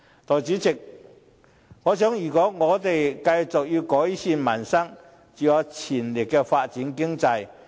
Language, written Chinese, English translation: Cantonese, 代理主席，我認為如果我們要繼續改善民生，就要全力發展經濟。, Deputy President in my view in order to make continuous improvement to peoples livelihood we must make all - out effort for economic development